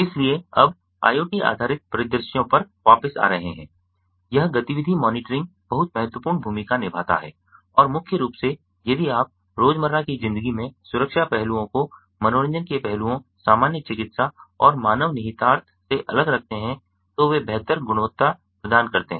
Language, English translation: Hindi, so now, coming back to the i o t based scenarios, this activity monitor monitoring plays a very important role and since may, if you keep the security aspects, the entertainment as pesticide, normal medical and human implications in day to day life